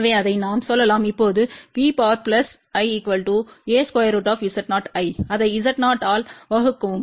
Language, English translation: Tamil, So, V plus divided by Z 0 and divided by Z 0